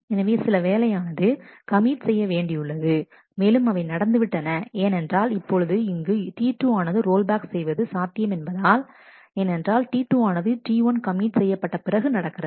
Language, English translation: Tamil, So, some more work is being done and that has happened because T 2 now here the rollback is possible because T 2 is committing after T 1